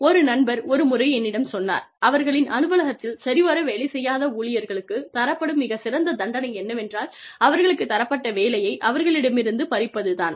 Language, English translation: Tamil, A friend, once told me, that in their office, one very effective way of punishing, low performing employee, was to take away the work, that was given to them